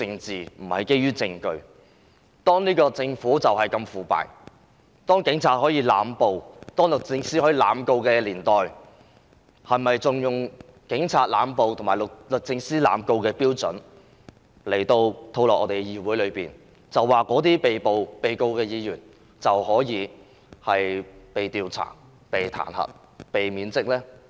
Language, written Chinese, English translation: Cantonese, 在我們的政府如此腐敗、警方濫捕、律政司濫告的情況下，我們是否仍要將這種警方濫捕和律政司濫告的標準套用到議會上，對被控告和被捕的議員作出調查、彈劾及免職呢？, When this Government of ours is so corrupt the Police are making indiscriminate arrests and the Department of Justice is initiating prosecutions indiscriminately should we apply the same standard of indiscriminate arrest and prosecution to the Legislative Council and take actions against Members arrested and prosecuted to investigate their case pass a motion of impeachment and remove them from office?